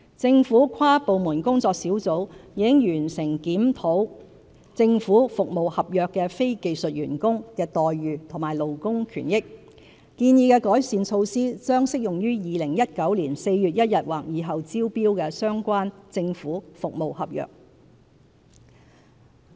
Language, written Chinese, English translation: Cantonese, 政府跨部門工作小組已完成檢討政府服務合約的非技術員工的待遇和勞工權益，建議的改善措施將適用於2019年4月1日或以後招標的相關政府服務合約。, The inter - departmental working group has completed a review of the employment terms and conditions as well as labour benefits of non - skilled employees engaged by government service contractors . The proposed improvement measures will be introduced to the relevant government service contracts tendered on or after 1 April 2019